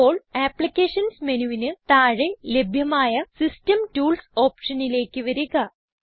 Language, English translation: Malayalam, Now, we will come to the System Tools option available under Applications menu